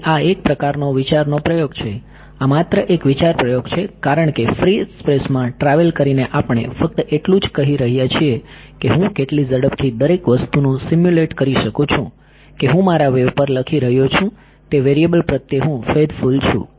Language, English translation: Gujarati, So, this is the sort of a thought experiment this is only a thought experiment right the wave as travelling through free space we are just saying how quickly can I simulate everything such that I am being faithful to the variables that I am writing on my wave of course, I am not sitting there and waiting for like travelling right